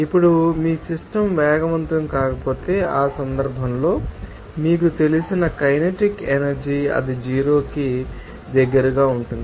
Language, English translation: Telugu, Now, if your system is not accelerating, in that case kinetic energy you know, that will be close to zero